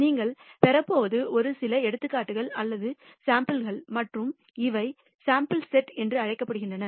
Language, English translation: Tamil, What you are going to obtain is just a few examples or samples and these are called the sample set